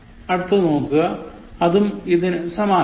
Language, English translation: Malayalam, Look at the next one, which is similar